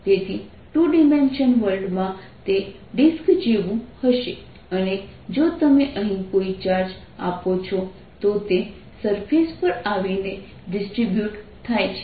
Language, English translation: Gujarati, so in two dimensional world it will be like a disk and if you give a charge here it is all coming to the surface, it get distributed on the surface